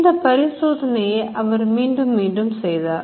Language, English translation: Tamil, This experiment was repeated